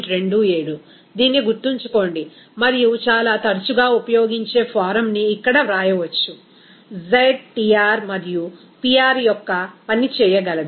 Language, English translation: Telugu, 27, just remember this and the most often used form is then we can write here z, z will be able to function of Tr and Pr